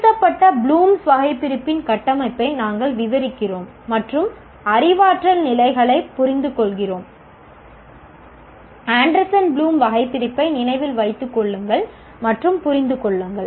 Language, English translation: Tamil, And we describe the structure of revised Bloom's taxonomy and understand the cognitive levels, remember and understand of Anderson Bloom taxonomy